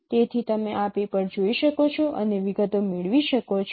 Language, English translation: Gujarati, So you can look at this paper and get the details